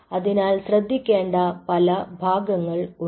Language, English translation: Malayalam, so there are several parts